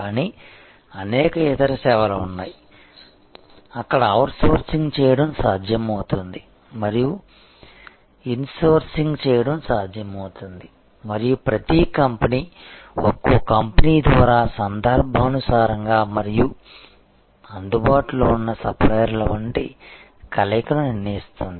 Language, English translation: Telugu, But, there are various other services, where it is possible to outsource it is possible to insource and a combination will be decided by each company each service company as the occasions demand and as kind of suppliers available partners available